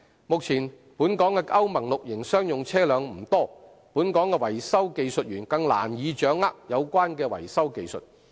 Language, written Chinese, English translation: Cantonese, 目前，本港的歐盟 VI 期商用車輛不多，本港的維修技術員更難以掌握有關的維修技術。, At present given the small number of Euro VI commercial vehicles in Hong Kong it is even more difficult for local vehicle mechanics to master the relevant maintenance techniques